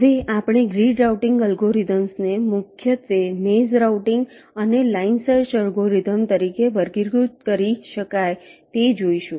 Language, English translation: Gujarati, ok, now grid working algorithms mainly can be classified as maze routing and line search algorithms, as we shall see